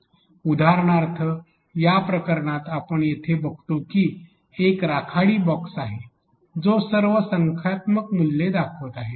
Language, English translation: Marathi, For example in this case what we see here is a gray box which will show all the numerical values